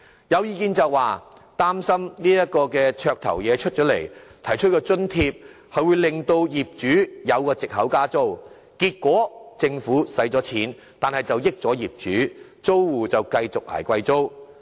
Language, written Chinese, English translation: Cantonese, 有人擔心這項"綽頭"政策推出後，會令到業主有藉口加租，結果政府花了錢，但得益的卻是一眾業主，而租戶卻要繼續"捱貴租"。, Some people worry that upon rolling out such a gimmick - like policy landlords will make it an excuse to increase rents . As a result the Government spends money only to benefit the landlords and the tenants continue to suffer because they still have to pay exorbitant rents